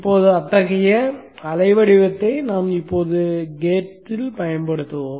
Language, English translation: Tamil, Now such a waveform we will apply at the gate of this